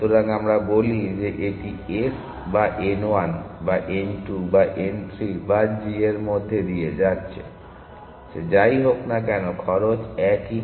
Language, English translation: Bengali, So, whether we say it is passing through s or n 1 or n 2 or n 3 or g it does not matter the cost is in the same